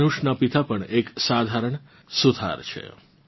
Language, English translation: Gujarati, Dhanush's father is a carpenter in Chennai